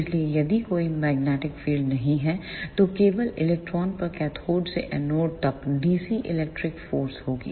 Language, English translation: Hindi, So, if there is no magnetic field then there will be only dc electric force from cathode to anode on electrons